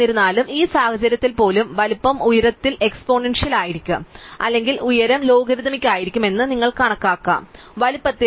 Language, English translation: Malayalam, But, nevertheless you can kind of compute that the size even in this case will be exponential in the height or rather the height will be logarithmic in the size